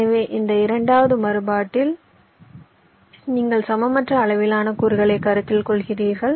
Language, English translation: Tamil, so in this second you are considering unequal sized elements